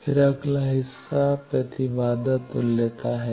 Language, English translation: Hindi, Then the next part is impedance equivalence